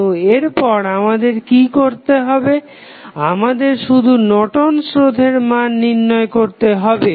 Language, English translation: Bengali, So, next what we need to do, we need to just find out the value of Norton's resistance